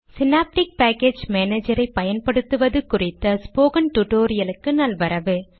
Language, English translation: Tamil, Welcome to this spoken tutorial on how to use Synaptic package manager